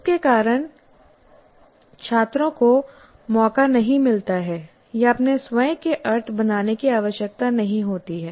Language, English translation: Hindi, So, because of that, the students do not get a chance or need to create their own meanings